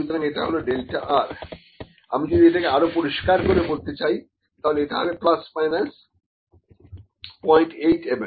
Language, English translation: Bengali, So, this is delta r, if I need to make it more clear, I can even put it as, I put it equivalent to you put it as equal to plus minus 0